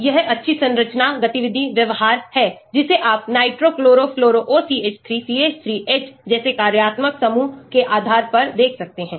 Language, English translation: Hindi, So, this is nice structure activity behaviour you can see depending upon the functional groups like nitro, chloro, fluoro, OCH3, CH3, H